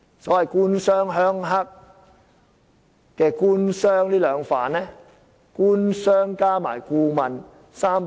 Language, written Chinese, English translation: Cantonese, 所謂"官商鄉黑"，"官"和"商"兩方面有否與顧問串通？, In the so - called government - business - rural - triad collusion do government and business collude with the consultants?